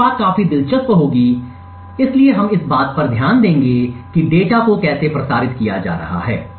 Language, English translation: Hindi, The next thing would be quite interesting so we would look at how the data is being transmitted